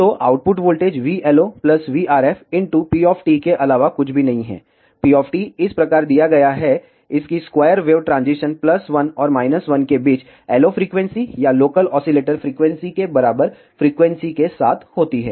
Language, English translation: Hindi, So, the output voltage is nothing but v LO plus v RF into p of t; p of t is given as this, its square wave transition between plus 1 and minus 1 with the frequency equal to the LO frequency or the local oscillator frequency